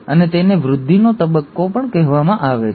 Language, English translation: Gujarati, And, it's also called as the growth phase one